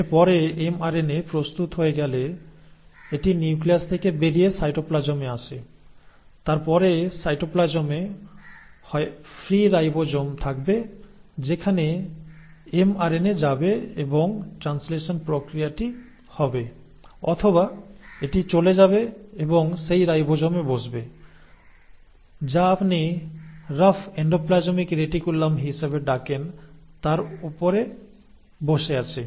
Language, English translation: Bengali, After that once the mRNA is ready, it comes out of the nucleus into the cytoplasm and then in the cytoplasm there will be either free ribosomes to which the mRNA will go and the process of translation will happen or it will go and sit on those ribosomes which are sitting on what you call as the rough endoplasmic reticulum